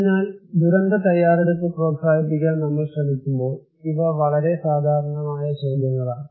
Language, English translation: Malayalam, So, these are very common questions when we are trying to promote disaster preparedness